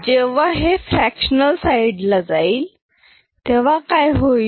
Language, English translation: Marathi, When it goes to the fractional side, what happens